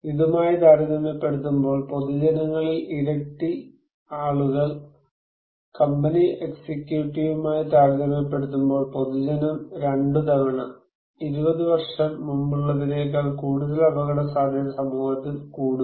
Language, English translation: Malayalam, Twice as many people in the general public compared to so, general public twice compared to company executive, think more risk in society than 20 years ago